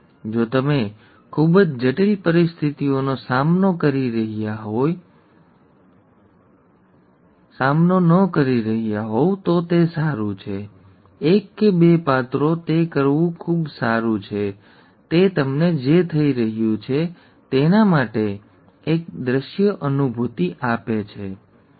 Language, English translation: Gujarati, It's rather nice if you are not dealing with very complex situations; one or two traits, one or two characters it is quite good to do, it gives you a visual feel for what is happening, okay